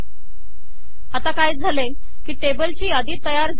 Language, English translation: Marathi, So what has happened is it has created a list of tables